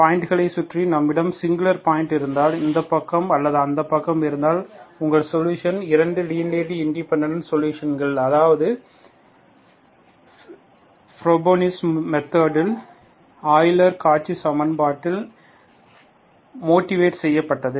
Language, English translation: Tamil, If we have a singular point around the point, either this side or that said, you can have, you can have solutions, 2 linearly independent solutions, that is by the Frobenius method, motivated by the Euler Cauchy equation, okay